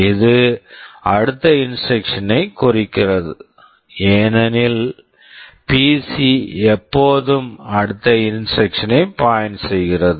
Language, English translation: Tamil, This means the next instruction, because PC always points to the next instruction